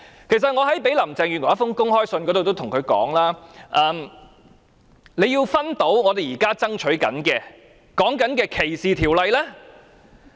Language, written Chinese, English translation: Cantonese, 我在一封給林鄭月娥的公開信中跟她說，她要認清我們現在爭取的反歧視條例。, In my open letter to Carrie LAM I ask her to be aware that we are striving for the enactment of anti - discrimination legislation